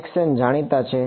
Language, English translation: Gujarati, Xn is known